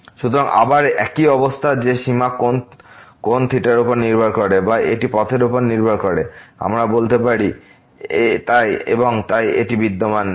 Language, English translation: Bengali, So, again the similar situation that the limit depends on the angle theta or it depends on the path, we can say and hence this does not exist